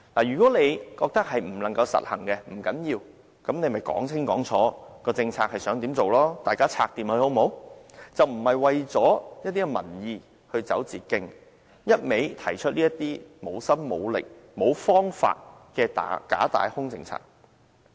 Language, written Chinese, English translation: Cantonese, 如果她認為不能實行，不要緊，便講清講楚政策想怎樣做，大家可以商討和解決，而不要為了民意而走捷徑，一味提出這些無心無力、無方法的假大空政策。, It is okay even if she does not think that the policy is feasible . But she must then explain clearly what other policies she wants to pursue so that we can all discuss how best to work a solution . But please do not cut the corner for the sake of increasing her own popularity by blindly proposing some false grandiose and empty policies that she has neither the enterprise nor the ideas to implement